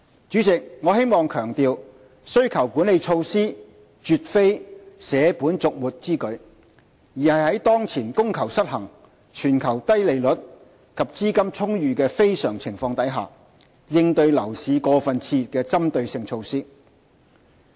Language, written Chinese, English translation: Cantonese, 主席，我希望強調，需求管理措施絕非捨本逐末之舉，而是在當前供求失衡、全球低利率及資金充裕的非常情況下，應對樓市過分熾熱的針對性措施。, President I wish to stress that the demand - side management measures are absolutely not attending to trifles to the neglect of essentials . Rather they are targeted measures to address an overheated property market under the current exceptional circumstances of demand - supply imbalance low interest rates and abundant liquidity globally